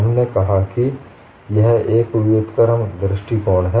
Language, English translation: Hindi, So, what you do in an inverse approach